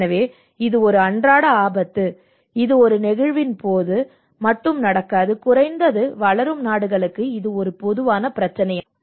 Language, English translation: Tamil, So this is a kind of everyday risk it is not just only happening during an event or anything, but it is a common problem for the developing at least the developing countries